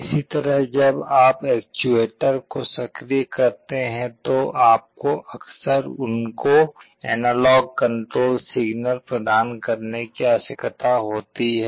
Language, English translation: Hindi, Similarly when you are activating the actuators, you often need to provide an analog control signal for those